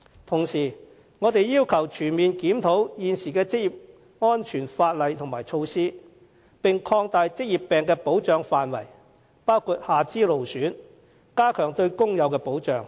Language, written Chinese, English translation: Cantonese, 同時，我們要求全面檢討現行的職業安全法例和措施，並且擴大職業病的保障範圍，包括下肢勞損，加強對工友的保障。, Meanwhile we call for a comprehensive review of the existing occupational safety legislation and measures and an expansion of the scope of protection for occupational diseases including lower limb disorders as well as enhanced protection for workers